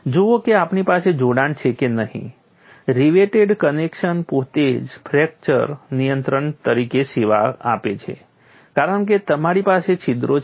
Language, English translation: Gujarati, So, if we have a reverted connection, the reverted connection itself serves as fracture control because you have holes